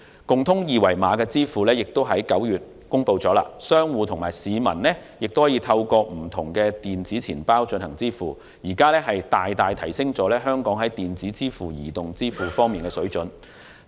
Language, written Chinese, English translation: Cantonese, 共通二維碼的支付亦已在9月公布，商戶和市民可以透過不同電子錢包進行支付，大大提升了香港在電子支付和移動支付方面的水準。, A common QR code standard was also launched in September with which merchants and customers alike can make retail payments across different e - wallets . It has significantly improved the standard of Hong Kong in respect of electronic payment and mobile payment systems